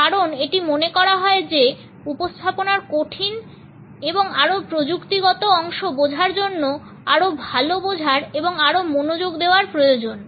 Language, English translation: Bengali, Because it is thought that understanding of difficult or more technical part of the presentation require better understanding and more focus